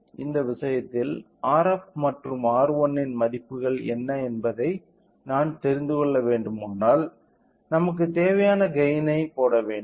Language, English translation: Tamil, So, now, in this case if I calculate if I want to know what is the values of R f and R 1 so, we should substitute our required gain